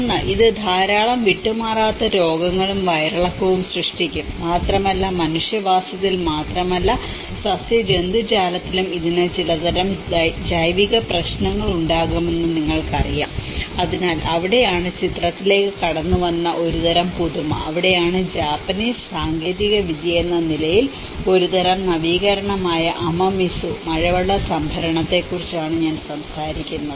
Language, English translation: Malayalam, One is; it can create a lot of chronic diseases, diarrhoea and you know it can have some kind of biological issues not only on the human habitation but also it can have on the flora and the fauna as well, so that is where there is a kind of innovation which came into the picture, and that is where Amamizu which is a kind of innovation as a Japanese technology, it is talks about rainwater harvesting